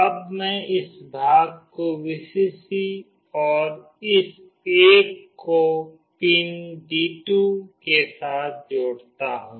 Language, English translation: Hindi, Now I will connect this part with Vcc and this one with pin D2